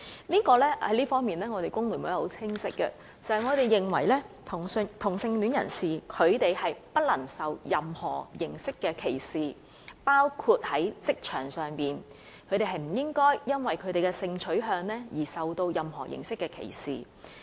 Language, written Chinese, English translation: Cantonese, 在這方面，工聯會的立場很清晰，我們認為同性戀人士不應受到任何形式的歧視，包括在職場上，他們不應因為性取向而受到任何形式的歧視。, In this connection the position of FTU is very clear . We consider that homosexuals should not be subject to any form of discrimination including at work and they should not be subject to any form of discrimination due to their sexual orientations